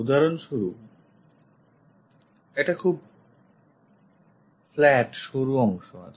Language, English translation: Bengali, For example, a very flat thin part